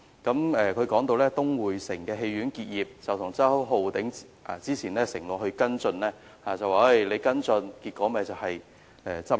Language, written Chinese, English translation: Cantonese, 他提到東薈城戲院結業的情況，指周浩鼎議員早前承諾跟進，但跟進的結果就是戲院結業。, He mentioned the closure of the cinema at Citygate claiming that Mr Holden CHOWs earlier promise to follow up the case had ended up with the closure of the cinema